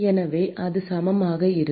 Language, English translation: Tamil, So, that will be equal to